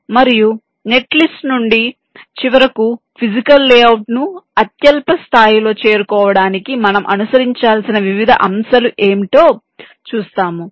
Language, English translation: Telugu, what are the different steps that we need to follow in order to finally arrive at the physical layout at the lowest level